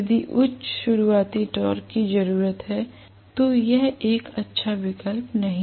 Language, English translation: Hindi, If high starting torque is needed this not a good option